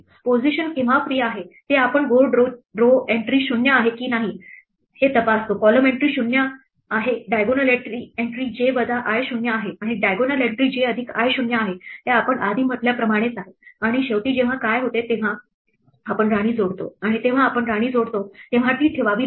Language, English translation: Marathi, When is a position free well we check whether board the row entry is 0 the column entry is 0 the diagonal entry j minus i is 0 and the diagonal entry j plus i is 0 this is exactly as we said before and finally, what happens when we add a queen right when we add a queen we have to place it